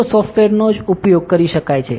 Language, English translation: Gujarati, See the softwares can be used only